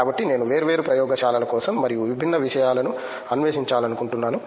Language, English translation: Telugu, So, I would like to go for different labs and to explore different things